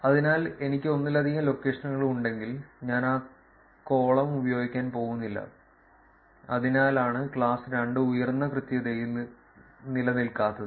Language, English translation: Malayalam, So, if I have multiple locations, I am not going to use that column, that is why class 2 does not exist in high accuracy